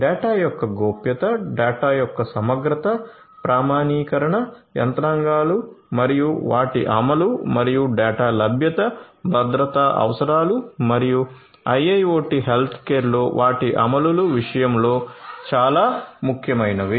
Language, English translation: Telugu, So, ensuring the confidentiality of the data, integrity of the data, authentication mechanisms and their implementation and availability of the data are very important in terms of security requirements and their implementations in IIoT healthcare